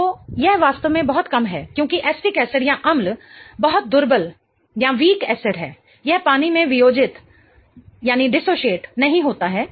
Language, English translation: Hindi, So, it's really, really low because acetic acid is very, very weak acid, it doesn't dissociate in water